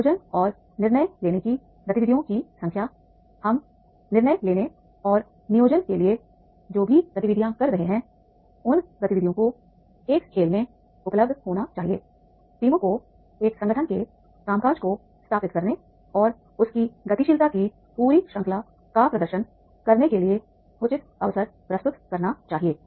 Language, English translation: Hindi, The number of planning and decision making activities, whatever the activities we are planning in the for the decision making and planning that those activities should be available in a game should present reasonable opportunities to the teams to establish the working of an organization and demand set the full range of its dynamics